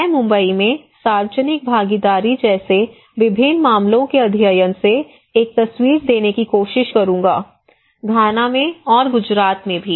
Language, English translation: Hindi, I will try to give a picture from different case studies like public participations in Mumbai, in Ghana and also in Gujarat okay